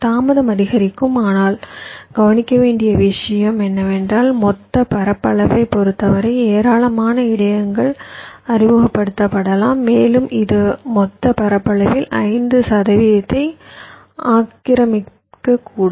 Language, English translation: Tamil, but the point to note is that in terms of the total area, there can be a large number of buffers are introduced and it can occupy as much as five percent of the total area